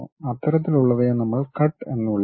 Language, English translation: Malayalam, That kind of thing what we call cut